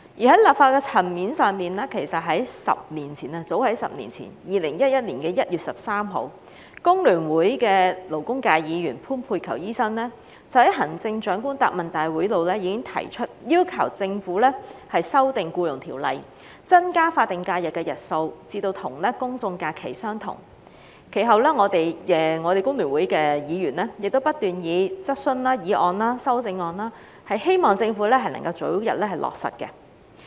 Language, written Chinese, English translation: Cantonese, 在立法的層面上，其實早於10年前的2011年1月13日，工聯會的勞工界議員潘佩璆醫生已在行政長官答問會上要求政府修訂《僱傭條例》，增加法定假日的日數至與公眾假期相同；其後，我們工聯會的議員亦不斷提出質詢、議案及修正案，希望政府能夠早日落實這項建議。, On the legislative front as early as 10 years ago at the Chief Executives Question and Answer Session held on 13 January 2011 former Labour functional constituency Member from FTU Dr PAN Pey - chyou already urged the Government to amend the Employment Ordinance to increase the number of SHs to align with GHs . Subsequently fellow Members from FTU have been urging the Government time and again to implement this proposal as soon as possible by way of questions motions and amendments